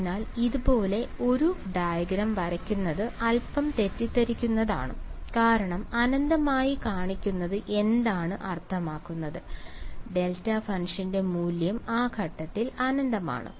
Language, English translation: Malayalam, So, to draw a diagram like this is slightly misleading because what is it mean to show in infinite I mean, the value of the delta function is infinity at that point